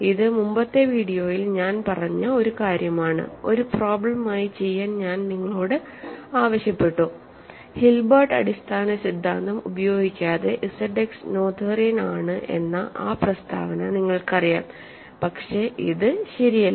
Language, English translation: Malayalam, So, this is something that I said in a previous video and I actually asked you to do as an exercise, that statement so that you know that Z X is noetherian without using Hilbert basis theorem, but this is not true ok